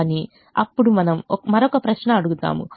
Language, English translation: Telugu, but then we will ask another question